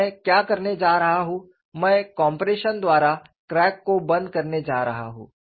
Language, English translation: Hindi, Now, what I am going to do is, I am going to close the crack by compression; I am stopping the animation in between